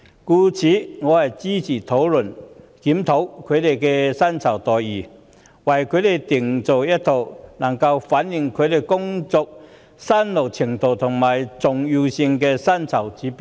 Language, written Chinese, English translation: Cantonese, 因此，我支持本會討論及檢討他們的薪酬待遇，為他們制訂一套能反映其工作辛勞程度和重要性的薪酬指標。, Therefore I support the Council to discuss and review the remuneration packages for civil servants and to formulate for them a set of pay indicators that reflect the hardship and importance of their work